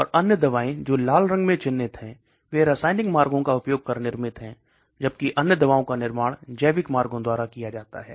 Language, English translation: Hindi, And the other drugs which are marked in red are manufactured using chemical routes, whereas other drugs are manufactured by biological routes